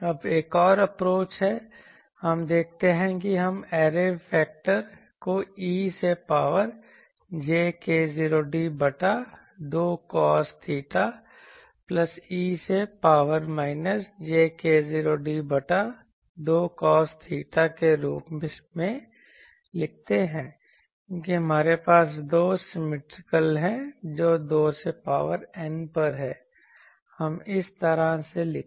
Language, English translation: Hindi, Now, the next another approach is let us see that we write the array factor as e to the power j k 0 d by 2 cos theta plus e to the power minus j k 0 d by 2 cos theta because, we have symmetrical those two into 2 to the power N let us write like this